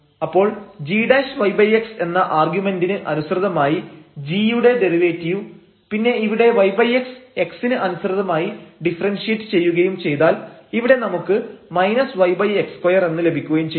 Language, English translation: Malayalam, So, the derivative of g with respect to its argument g prime y over x and then here the y over x will be differentiated with respect to x that will give us here minus y over x square